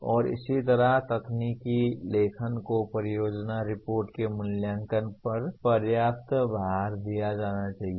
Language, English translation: Hindi, And similarly technical writing should be given adequate weightage in evaluating project reports